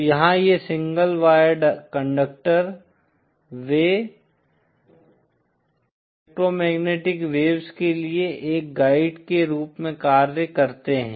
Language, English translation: Hindi, So here these single wire conductors, they simply act as a guide for electromagnetic waves